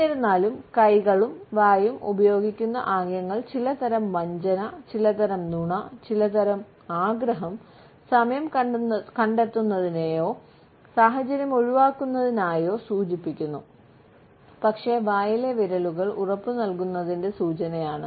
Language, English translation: Malayalam, Even though, most hand to mouth gestures indicate some type of a deception, some type of a lying, some type of a desire, to buy time or to avoid the situation, but this finger in mouth gesture is an open cry for reassurance